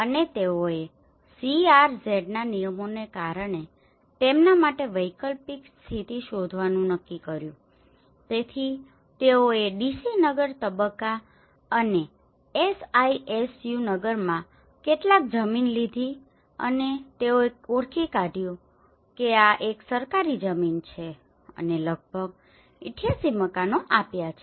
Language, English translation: Gujarati, And they decided to find alternative position for them because of the CRZ regulations so they have took some land in the DC Nagar phase and SISU Nagar and they have identified this is a government land and have given about 88 houses